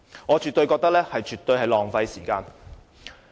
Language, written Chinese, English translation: Cantonese, 我絕對認為他們的做法浪費時間。, I absolutely think that they are wasting time